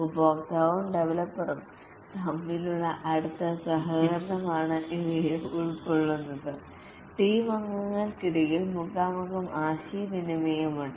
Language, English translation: Malayalam, There is a close cooperation between the customer and developer and among the team member there is face to face communication